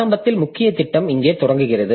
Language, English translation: Tamil, So, initially the main program is starting here